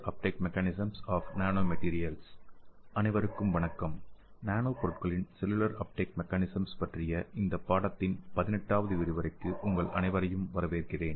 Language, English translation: Tamil, Hello everyone I welcome you all to this 18th lecture of this course, so the 18th lecture is on cellular uptake mechanism of nanomaterials